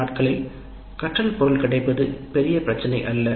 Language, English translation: Tamil, Generally these days availability of learning material is not a big issue